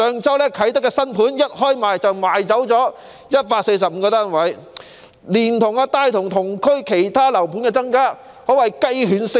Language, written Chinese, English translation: Cantonese, 位於啟德的新樓盤上周一開售便售出145個單位，連帶同區其他樓盤提價，可謂雞犬升天。, A newly - completed housing estate at Kai Tak recorded the sale of all 145 units soon after they were offered for sale last week . This has produced the effect of boosting the prices of units available for sale in the same area